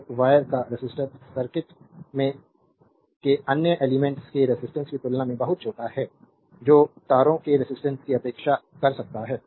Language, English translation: Hindi, So, the resistance of the wire is so small compared to the resistance of the other elements in the circuit that we can neglect the wiring resistance